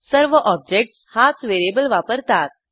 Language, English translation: Marathi, All the objects will share that variable